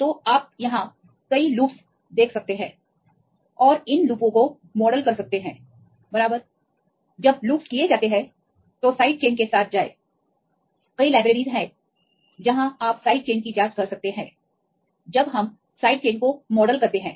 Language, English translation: Hindi, So, you can see the several loops here and model these loops right when the loops are done, then go with the side chains, there are several libraries you can check the side chains and when we model the side chain